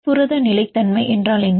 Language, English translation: Tamil, What is protein stability